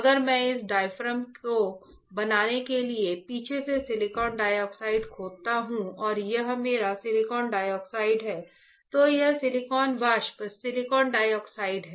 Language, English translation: Hindi, If I etch silicon dioxide right from the backside to create this diaphragm and this is my silicon dioxide, this is silicon vapor silicon dioxide